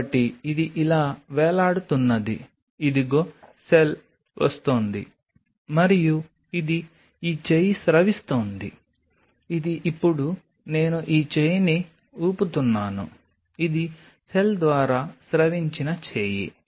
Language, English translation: Telugu, here is a cell coming and it is secreting this, this arm which is now i am waving this arm, this is the arm which has been secreted by the cell